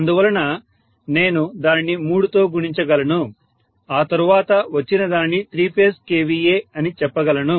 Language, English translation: Telugu, So I can multiply that by three and then say that is what is my three phase